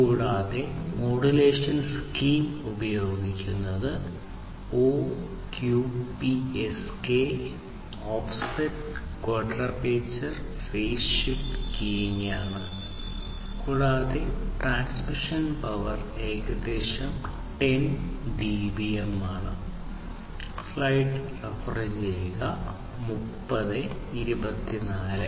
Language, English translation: Malayalam, And, the modulation scheme that is used is the OQPSK offset quadrature phase shift keying and the transmission power is around 10 dBm